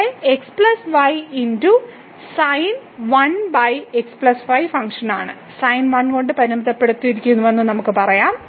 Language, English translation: Malayalam, So, here that is in the function itself plus sin 1 over plus and we know that the sin is bounded by 1